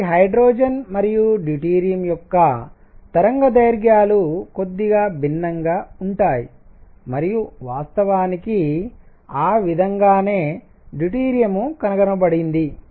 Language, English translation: Telugu, So, wavelengths for hydrogen and deuterium are going to be slightly different and in fact, that is how deuterium was discovered